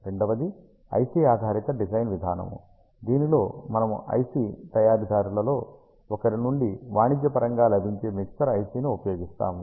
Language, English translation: Telugu, The second, approach is IC base design in which you use a commercially available mixer IC from a one of the manufacturers